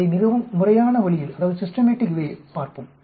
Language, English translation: Tamil, Let us look at it in very systematic way